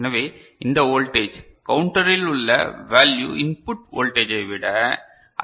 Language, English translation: Tamil, So, this voltage, what is stored in the counter is more than the input voltage right